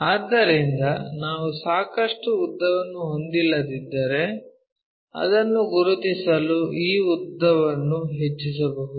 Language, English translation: Kannada, So, if we are not having that enough length, so what we can do is increase this length to locate it